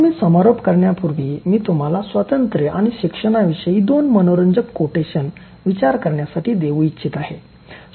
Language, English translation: Marathi, Now before I conclude, I want to leave you thinking of two interesting quotations about freedom and learning